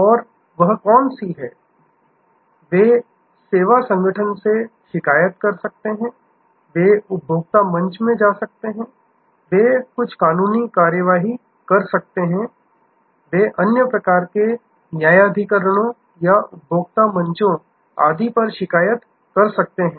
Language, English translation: Hindi, And which is that, they can complaint to the service organization, they can go to consumer forum, they can take some legal action, they can complaint to other kinds of tribunals or consumer forum and so on